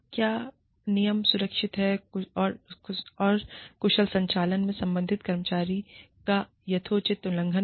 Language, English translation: Hindi, Was the rule, the employee violated, reasonably related to, safe and efficient operations